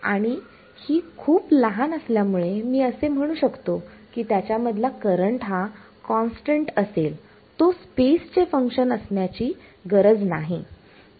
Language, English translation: Marathi, And because it so tiny, I can say that the current in there is constant need not be a function space correct